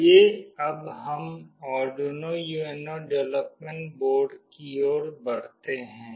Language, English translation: Hindi, Let us now move on to Arduino UNO development board